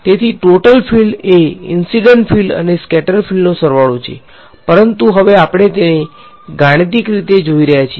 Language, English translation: Gujarati, So, total field is the sum of incident and scattered field intuitively they are always made sense, but now we are seeing it mathematically